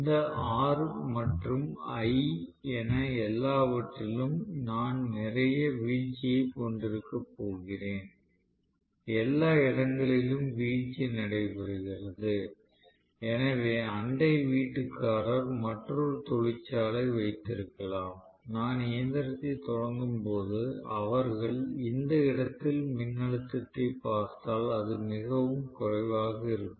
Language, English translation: Tamil, This is a large current, then I am going to have lot of drop taking place all over in all this R and l, everywhere there will be drop taking place, so a next floor neighbour who has another factory probably, if they are looking at the voltage at this point, I am going to have really much lower voltage when I am starting the machine